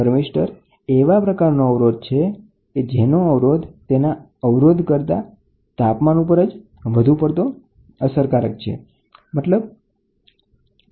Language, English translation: Gujarati, A thermistor is a type of resistor whose resistance is dependent on temperature more than the standard resistance resistor